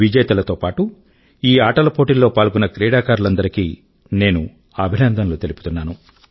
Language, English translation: Telugu, I along with all the winners, congratulate all the participants